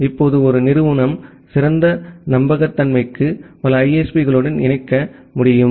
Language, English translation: Tamil, Now an organization can connect to multiple ISPs for better reliability